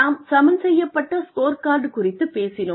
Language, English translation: Tamil, We talked about a balanced scorecard